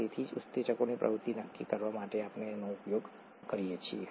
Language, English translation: Gujarati, So, this is what we use to quantify the activity of enzymes